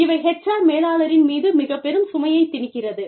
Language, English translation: Tamil, And it just puts a lot of burden, on the HR manager